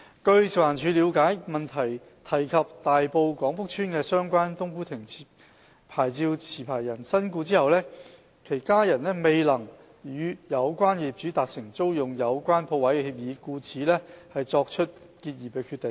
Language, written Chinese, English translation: Cantonese, 據食環署了解，主體質詢提及大埔廣福邨的相關"冬菇亭"牌照持牌人身故後，其家人未能與有關業主達成租用有關鋪位的協議，故此作出結業的決定。, According to FEHDs understanding after the licensee concerned in the cooked food kiosk in Kwong Fuk Estate of Tai Po passed away the family members of the licensee did not reach an agreement with the owner concerned on the tenancy of the stall and decided to cease the business as a result